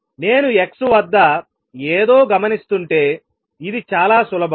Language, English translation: Telugu, This is very simple this, if I am observing something at x